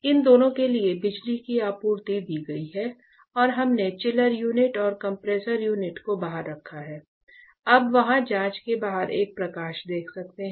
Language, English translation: Hindi, So, for both these power supplies have been given and we have kept the chiller unit and the compressor unit outside; you can see a light outside the glass there